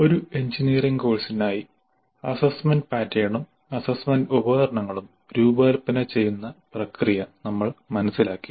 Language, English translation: Malayalam, We understood the process of designing assessment pattern and assessment instruments for an engineering course